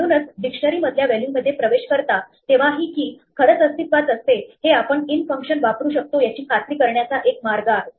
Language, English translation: Marathi, So, this is one way to make sure that when you access a value from a dictionary, the key actually exists, you can use the in function